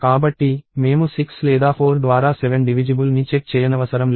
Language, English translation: Telugu, So, therefore I do not have to check 7 divisible by 6 or 4